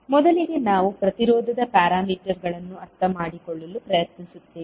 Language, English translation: Kannada, First, we will try to understand the impedance parameters